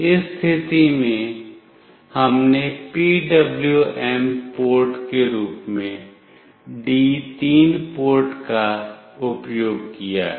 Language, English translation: Hindi, In this case we have used D3 port as the PWM port